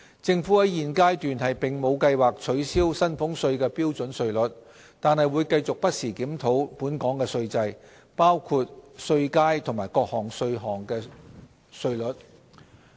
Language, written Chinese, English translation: Cantonese, 政府在現階段並無計劃取消薪俸稅的標準稅率，但會繼續不時檢討本港的稅制，包括稅階及各種稅項的稅率。, The Government has no plan at this stage to abolish the standard rate for salaries tax but it will continue to regularly review the taxation system of Hong Kong including the tax bands and rates of various taxes